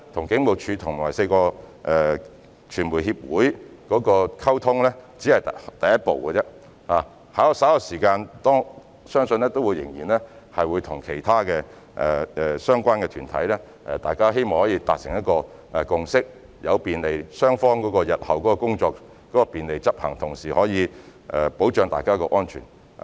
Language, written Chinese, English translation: Cantonese, 警務處處長與4個傳媒協會的溝通只是第一步，相信稍後每年都會與其他相關團體溝通，希望大家可以達成共識，讓雙方日後的工作可以順利執行，同時保障大家的安全。, The meeting of the Commissioner of Police with the four media associations is only a first step . I believe later on there will be communications with other relevant groups each year with a view to reaching a consensus thereby facilitating the smooth conduct of the work of both sides and protecting the safety of all concerned